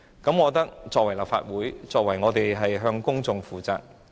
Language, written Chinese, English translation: Cantonese, 我覺得作為立法會議員是需要向公眾負責的。, As a Legislative Council Member we should be accountable to the public